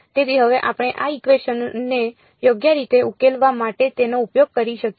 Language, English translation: Gujarati, So, now, we can make use of that for solving this equation right